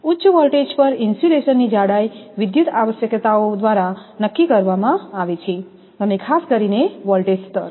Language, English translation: Gujarati, At high voltages, the insulation thickness is determined by electrical requirements particular the voltage level